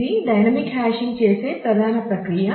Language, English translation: Telugu, So, this is the basic process of doing dynamic hashing